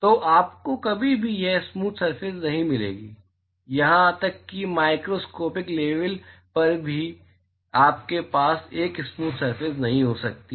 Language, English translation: Hindi, So, you will never get a smooth surface, even at the microscopic level you cannot have a smooth surface